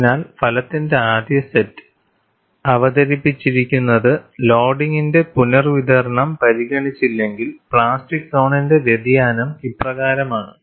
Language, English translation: Malayalam, So, the 1st set of result, what is presented here is if no redistribution of loading is considered, the variation of plastic zone is as follows